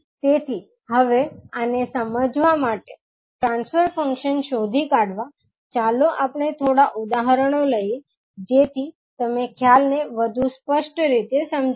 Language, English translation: Gujarati, So, now to understand these, the finding out the transfer function let us take a few examples so that you can understand the concept more clearly